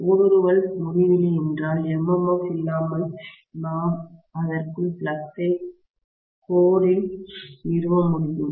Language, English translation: Tamil, If the permeability is infinity, without any MMF I should be able to establish flux within the core